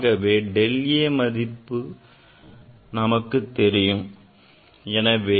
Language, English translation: Tamil, So, a we know and del a also we know